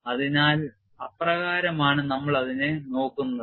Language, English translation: Malayalam, So, that is the way we will look at it